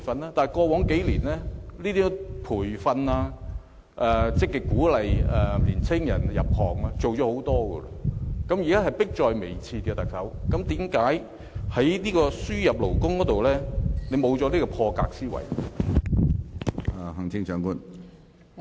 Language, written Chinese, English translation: Cantonese, 然而，過往數年，培訓、積極鼓勵年青人入行已經做了很多，現在的情況已是迫在眉睫，為何特首在輸入勞工方面卻沒有破格的思維呢？, But the point is that the Government has already done a lot over the past few years to provide training and actively encourage young people to join the industries concerned . The situation has turned very critical by now . Why doesnt the Chief Executive adopt an unconventional mindset in respect of labour importation?